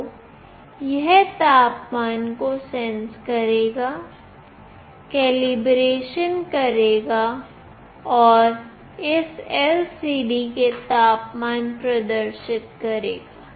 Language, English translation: Hindi, So, it will sense the temperature, do the calibration and display the temperature in this LCD